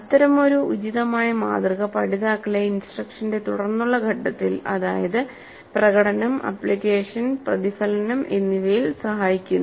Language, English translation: Malayalam, Such an appropriate model helps the learners during the subsequent phases of the instruction that is during demonstration, application and reflection